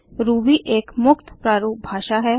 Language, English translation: Hindi, Ruby is free format language